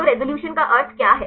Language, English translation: Hindi, So, what is the meaning of resolution